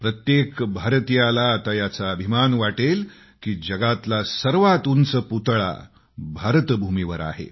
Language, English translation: Marathi, Every Indian will now be proud to see the world's tallest statue here on Indian soil